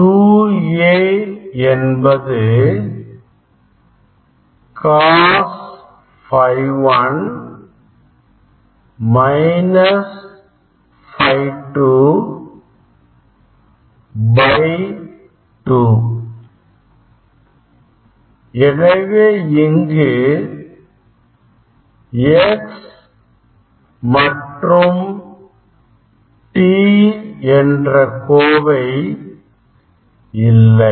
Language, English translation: Tamil, 2 A this is the cos phi 1 minus phi 2 by 2, is there is no x and t term here